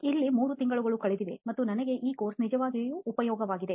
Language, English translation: Kannada, So it has been three months here and I am really enjoying this course